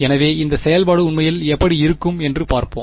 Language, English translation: Tamil, So, let us see what it what this function actually looks like